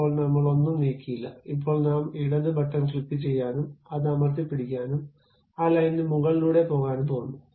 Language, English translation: Malayalam, Right now I did not move anything, now I am going to click left button, hold that, and move over that line